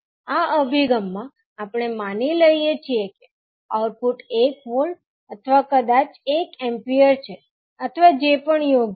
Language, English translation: Gujarati, In this approach we assume that output is one volt or maybe one ampere or as appropriate